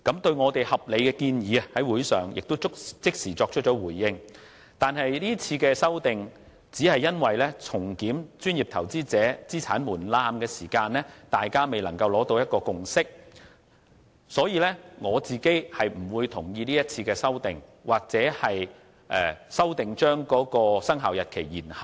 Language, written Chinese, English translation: Cantonese, 是次擬議決議案提出的修訂，只因就重檢專業投資者資產門檻方面，大家未能達到共識，所以，我個人並不同意其修訂或延後修訂的生效日期。, The amendments contained in this proposed resolution are meant only to resolve the absence of any consensus on the review of the asset threshold for professional investors . I therefore do not support any changes to the proposed amendments nor do I agree to deferring the commencement date of the amendment rules